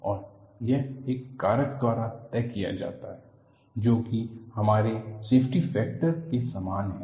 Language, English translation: Hindi, And this is dictated by a factor that is similar to our safety factor